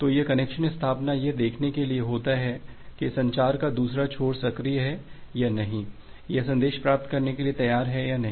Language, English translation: Hindi, So this connection establishment is to see that whether the other end of the communication is live or not whether that is ready to receive the message or not